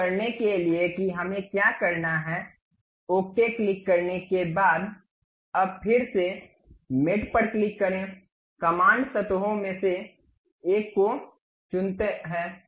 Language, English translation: Hindi, To do that what we have to do, after clicking ok, now again click mate, command pick one of the surface